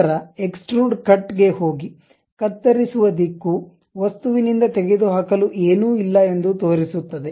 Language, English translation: Kannada, Then go to extrude cut; the cut direction shows that away from the object nothing to remove